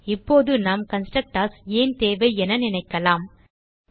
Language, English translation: Tamil, Now you might feel why do we need constructors